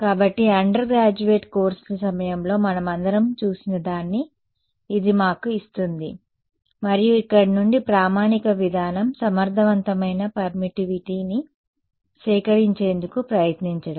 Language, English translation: Telugu, So, that gives us this which all of us have seen during undergraduate courses and then the standard procedure from here is to try to extract the effective permittivity